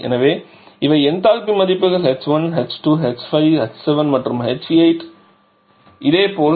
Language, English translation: Tamil, So, these are the enthalpy values h 1 your h 2, h 5, h 7 and h 8 and similarly h 6